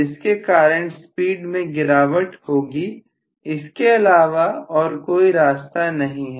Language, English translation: Hindi, So the speed has to drop there is no other way